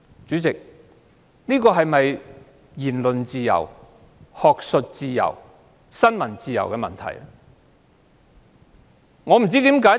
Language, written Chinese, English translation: Cantonese, 主席，這事件是否與言論自由、學術自由、新聞自由相關？, President is this incident related to freedom of speech academic freedom and freedom of the press?